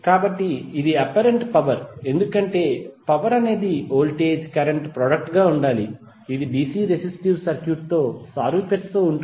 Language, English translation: Telugu, So it is apparent power because it seems apparent that the power should be the voltage current product which is by analogy with the DC resistive circuit